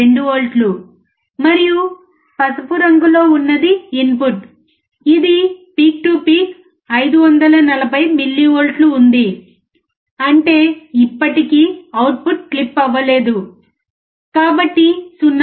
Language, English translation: Telugu, 2 volts at the output, and the input is yellow one peak to peak 540 millivolts; that means, still the output has not been clipped so, 0